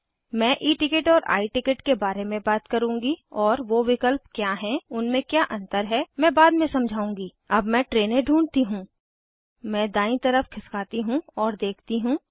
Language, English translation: Hindi, I will talk about E ticket or I ticket and what are the option What are the differnces i will explain later Let me find the place, Train name slide to the right and see that